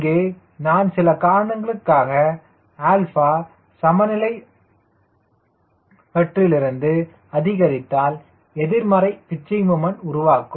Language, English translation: Tamil, here i see, if for some reason alpha is increase from the equilibrium, it will generate negative pitching moment